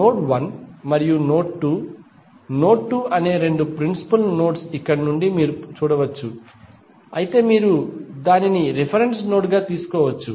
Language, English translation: Telugu, You can see from here there are two principal nodes that is node 1 and node 2, node 2 you can take it as a reference node